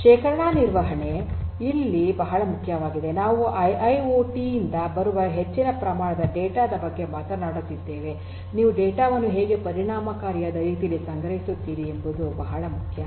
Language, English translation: Kannada, Storage management is important here we are talking about large volumes of data coming from IIoT, how do you store the data in a cost efficient manner is very important